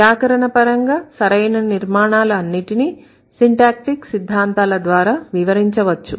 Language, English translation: Telugu, All grammatically correct constructions can be explained through syntactic theories